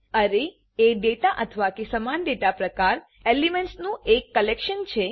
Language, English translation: Gujarati, Array is the collection of data or elements of same data type